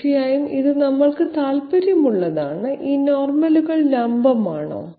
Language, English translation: Malayalam, And of course this is of interest to us, are these normals vertical